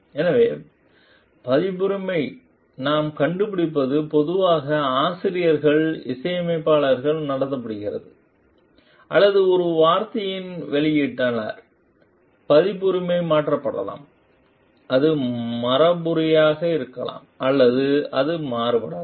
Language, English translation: Tamil, So, what we find copyright is most commonly held by authors composers, or publisher of a word it, the copyright may be transferred it may be inherited or it may be transferred